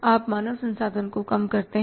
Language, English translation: Hindi, You have to reduce your human resources